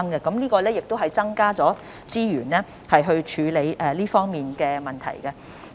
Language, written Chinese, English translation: Cantonese, 我們已增加資源處理這方面的問題。, We have already increased resources to deal with issues in this regard